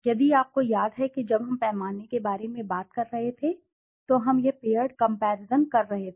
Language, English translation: Hindi, If you remember when we were talking about scale also we were making paired comparisons